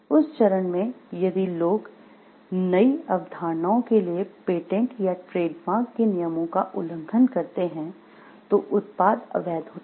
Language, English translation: Hindi, In that stage if people are blind to new concepts violation of patents or trademarks secrets products to be used is illegal